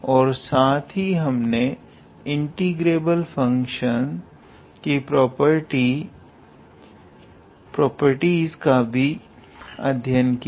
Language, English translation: Hindi, And we also looked into some properties of Riemann integrable function